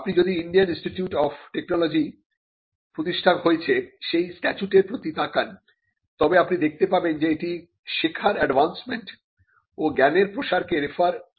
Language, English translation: Bengali, Know if you look at the statute that establishes the Indian Institute of Technologies in India, you will find that it refers to advancement of learning and dissemination of knowledge